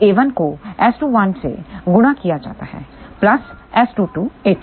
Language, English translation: Hindi, So, a 1 multiplied by S 2 1 plus S 2 2 a 2